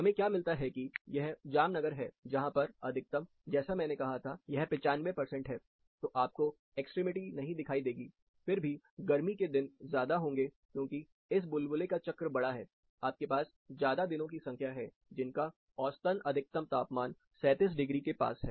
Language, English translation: Hindi, What we find, this is Jamnagar, which has maximum, as I said, this is 95 percentile, so you are not seeing the extremities, but still, you have a considerable amount of summer, since the circle is big, the bubble is big, you have more number of days, which have, say, for example, around 37 degree mean maximum temperature